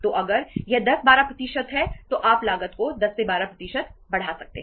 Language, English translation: Hindi, So if it is 10 to 12 percent you can increase the cost by 10 to 12 percent